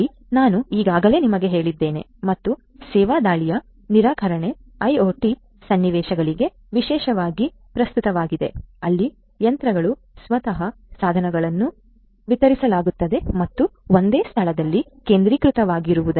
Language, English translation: Kannada, So, DoS attack, I have already told you and distributed denial of service attack is particularly relevant for IoT scenarios, where the machines themselves the devices themselves are distributed and not centralized in one location